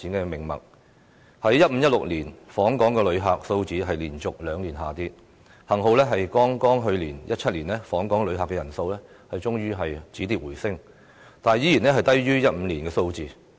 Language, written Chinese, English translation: Cantonese, 2015年和2016年，訪港旅客數字連續兩年下跌，幸好訪港旅客人數在剛過去的2017年終於止跌回升，但仍然低於2015年的數字。, In 2015 and 2016 the number of visitors to Hong Kong has dropped for two consecutive years . Luckily the number of visitors to Hong Kong ceased dropping in 2017 and started to rise but was still lower than that in 2015